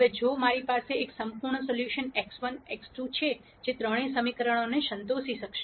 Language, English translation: Gujarati, Now if I had a perfect solution x 1 x 2 which will satisfy all the three equations